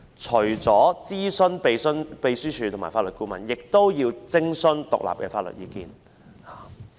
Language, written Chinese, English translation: Cantonese, 除了諮詢立法會秘書處及法律顧問外，亦須徵詢獨立的法律意見。, Apart from consulting the Legislative Council Secretariat and Legal Advisors independent legal advice should also be sought